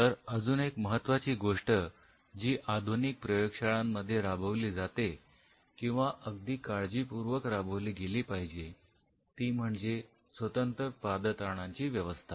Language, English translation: Marathi, So, another interesting thing which many new modern labs do follow is or rather should be very clearly followed that they maintain a specific set of footwears